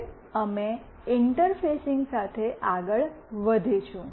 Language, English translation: Gujarati, Now, we will go ahead with the interfacing